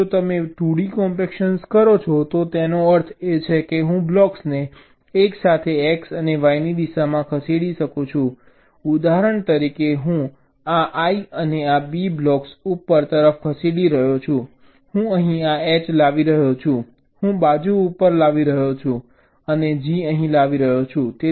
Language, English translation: Gujarati, now, if you do two d compaction means i can move blocks simultaneously in x and y directions, like, for example, this b block i am moving upward, this i I am bringing here, this h i am bringing to the side, and g is brining here